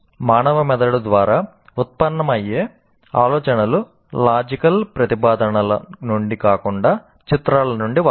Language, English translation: Telugu, Ideas generated by human brain often come from images, not from logical propositions